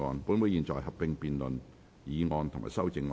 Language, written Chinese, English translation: Cantonese, 本會現在合併辯論議案及修正案。, This Council will conduct a joint debate on the motion and the amendment